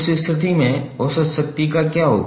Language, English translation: Hindi, In that case what will happen to average power